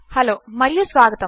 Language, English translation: Telugu, Hello and welcome